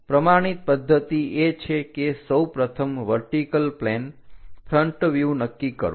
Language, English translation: Gujarati, The standard procedure is first decide the vertical plane front view